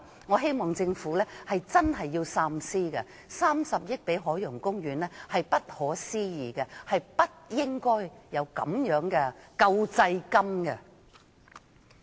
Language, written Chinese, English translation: Cantonese, 我希望政府真的要三思，撥3億元給海洋公園是不可思議的，政府不應發放這種救濟金。, I hope that the Government will think twice . The allocation of 300 million to the Ocean Park is just beyond me . The Government should not dole out this kind of relief